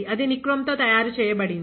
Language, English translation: Telugu, That is made of nichrome ok